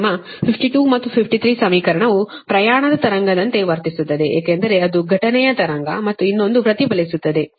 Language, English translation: Kannada, that your that equation fifty two and fifty three, its behave like a travelling wave, right, because one is incident wave and another is reflected one